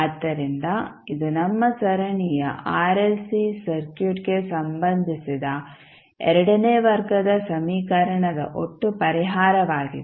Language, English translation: Kannada, So, this would be the total solution of the equation that is the second order equation related to our series RLC circuit